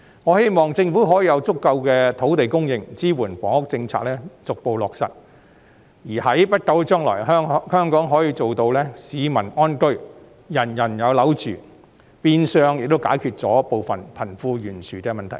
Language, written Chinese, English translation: Cantonese, 我希望政府可以提供足夠的土地供應，以支援房屋政策逐步落實，在不久的將來，香港可以做到市民安居、人人有樓住，變相亦能解決部分貧富懸殊的問題。, I hope the Government can supply sufficient land to support the gradual implementation of the housing policy so that in the near future the people of Hong Kong can live in contentment and everyone has a home to live in . In a way the disparity between the rich and the poor can be partially addressed